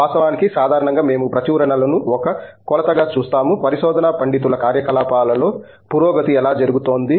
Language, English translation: Telugu, And of course, generally we tend to look at publications as one measure of, how progress is happening in the a research scholars' activities